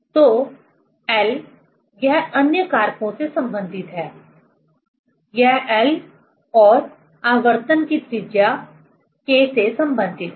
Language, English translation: Hindi, So, L, it is related with other factors; it is related with L and the radius of gyration, K